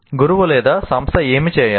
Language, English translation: Telugu, What should the teacher or the institution do